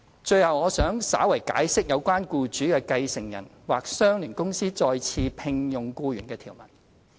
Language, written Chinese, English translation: Cantonese, 最後，我想稍為解釋有關僱主的繼承人或相聯公司再次聘用僱員的條文。, Finally I would like to briefly explain the provisions on re - engagement of the employee by the employers successor or associated company